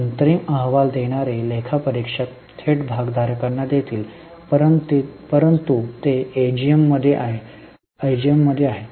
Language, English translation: Marathi, The final reporting auditors will make directly to the shareholders